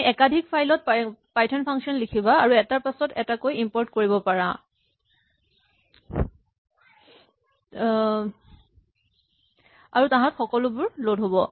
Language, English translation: Assamese, So, you can do this, you can write python functions in multiple files and import them one after the other and they will all get loaded